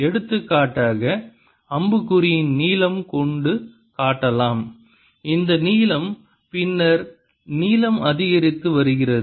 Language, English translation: Tamil, for example, it could be shown by the length of the arrow, this length